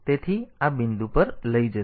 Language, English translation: Gujarati, So, it will take it to this point